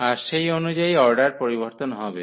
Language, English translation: Bengali, So, accordingly that order will change